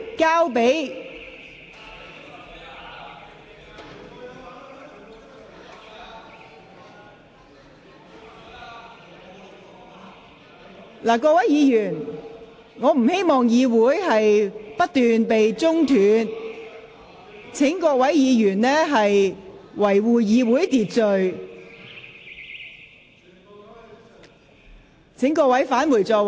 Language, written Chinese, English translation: Cantonese, 各位議員，我不希望會議過程不斷被打斷，請各位議員遵守會議秩序，返回座位。, Honourable Members I do not want to see continued interruption to our proceedings . Will Members please observe the order of meeting and return to their seats